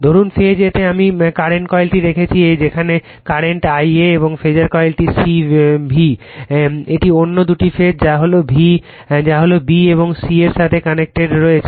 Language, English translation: Bengali, Suppose in phase a I have put the current coil , which sees the current I a , and the phasor coil that is C V , it is connected to your what you call that other other two phases that is b and c right